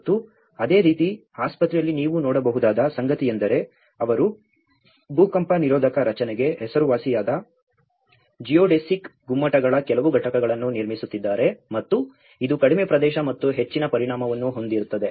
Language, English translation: Kannada, And similarly, in the hospital what you can see is that they are building some units of the geodesic domes which has known for its earthquake resistant structure and which will have less area and more volume